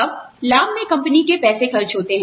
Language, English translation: Hindi, Now, benefits cost the company money